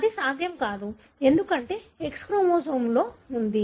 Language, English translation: Telugu, That is not possible because, it is there in the X chromosome